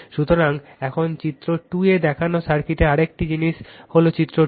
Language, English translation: Bengali, So, now another thing in the circuit shown in figure this 2 this is figure 2 right